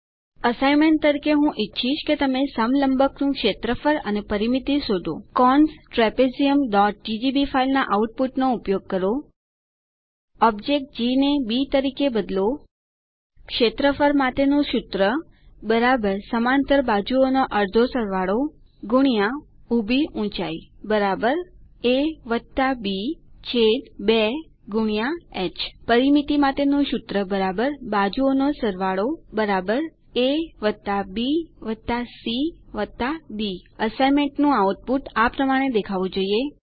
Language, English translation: Gujarati, As an assignment i would like you To find area and perimeter of trapezium, use output of file cons trapezium.ggb Rename object g as b Formula for area = * = (a+b)/2* h Formula for perimeter = =(a+b+c+d) The output of the assignment should look like this